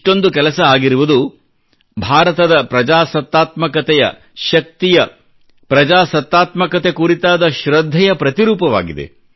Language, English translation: Kannada, So much accomplishment, in itself shows the strength of Indian democracy and the faith in democracy